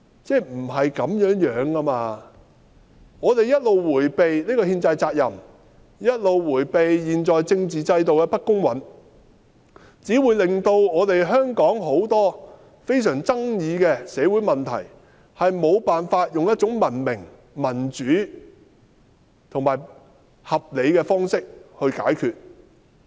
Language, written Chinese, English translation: Cantonese, 不是這樣的，政府一直迴避這個憲制責任，一直迴避現在政治制度的不公允，只會導致香港許多非常富爭議的社會問題，無法以一種文明、民主、合理的方式解決。, That should not be the case . As the Government has been evading this constitutional responsibility and the unfairness of the current political system we will fail to solve many highly controversial social problems of Hong Kong in a civilized democratic and reasonable way